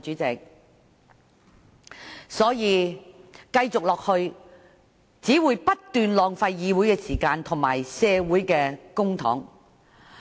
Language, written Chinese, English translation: Cantonese, 這樣下去，只會不斷浪費議會時間及公帑。, If things go on like that our council time and public funds will only be wasted continuously